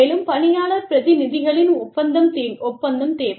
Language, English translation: Tamil, And, the agreement of the employee representatives, is required